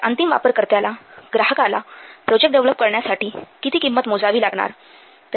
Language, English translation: Marathi, So, how much cost the end user, the client will pay for developing this project